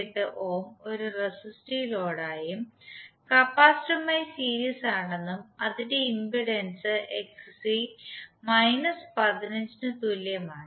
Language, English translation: Malayalam, 98 ohm as a resistive load and in series with capacitor whose impedance is Xc that is equal to minus 15